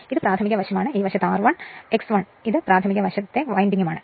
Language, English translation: Malayalam, And this is your primary side say and this side you have your what you call R 1 say and you have X 1 right and this is your primary side winding